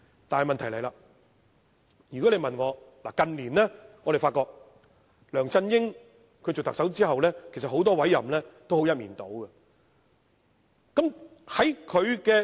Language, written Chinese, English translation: Cantonese, 但是，問題便來了，我們發覺梁振英擔任特首後，近年很多委任也是一面倒。, However here comes the problem . We have found that since LEUNG Chun - ying assumed office as the Chief Executive many appointments were one - sided in recent years